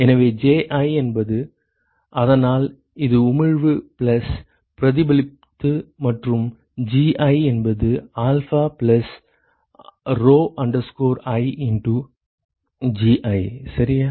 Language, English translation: Tamil, So, Ji is, so this is emission plus whatever is reflected and Gi is whatever is alpha plus rho i into Gi ok